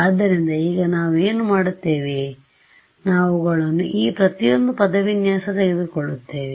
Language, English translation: Kannada, So, now, what do we do we will take these guys each of this expression